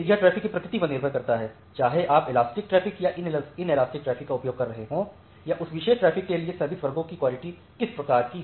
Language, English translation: Hindi, So, it depends on the nature of the traffic, whether you are using elastic traffic or inelastic traffic or what type of quality of service classes for that particular traffic has